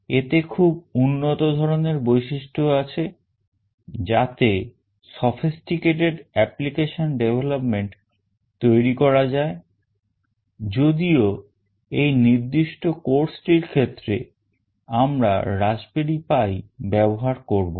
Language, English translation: Bengali, It has got high end features that can be used for sophisticated application development although we will not be using Raspberry Pi in this particular course